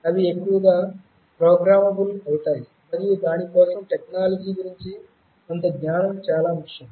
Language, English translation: Telugu, They will mostly be programmable and for that some knowledge about technology is very important